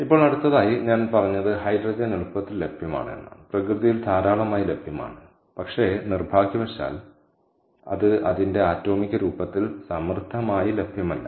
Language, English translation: Malayalam, now next thing: i said that hydrogen is readily available, is is abundantly available in nature, but unfortunately it is not abundantly available in its atomic form